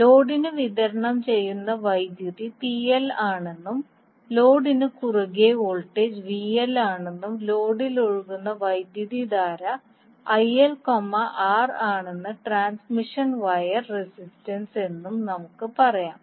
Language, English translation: Malayalam, Let us say that the power being supplied to the load is PL and the voltage across the load is VL and the current which is flowing in the load is IL, R is the resistance of the transmission wire